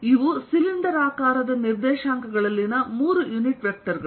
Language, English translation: Kannada, these are the three unit vectors in cylindrical coordinates